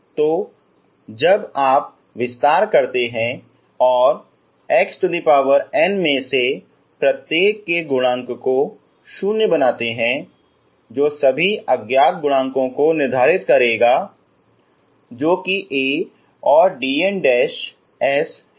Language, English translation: Hindi, So now that you expand and make the coefficients of each of this coefficients of x power n 0 that will determine all the unknown coefficients so which are A and d ns, okay